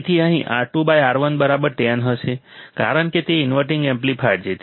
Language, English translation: Gujarati, So, here it will be R 2 by R 1 equals to 10, why because it is an inverting amplifier